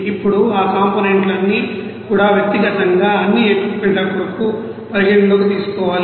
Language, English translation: Telugu, Now all those you know components to be considered for all the equipments individually